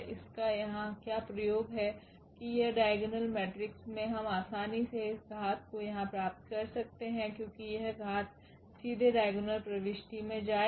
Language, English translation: Hindi, What is the use here that this diagonal matrix we can easily get this power here because this power will directly go to this diagonal entry